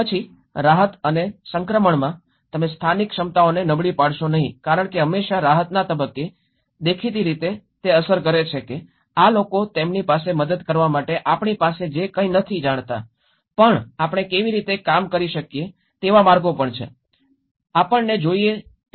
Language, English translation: Gujarati, Then in the relief and transition, donít undermine the local capacities because at always at relief phase, obviously undermines that these people doesnít know anything that we have there to help them, but also there are ways how we can, we need to think how what are their relief